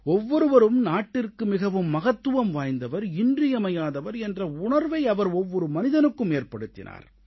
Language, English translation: Tamil, He made everyone feel that he or she was very important and absolutely necessary for the country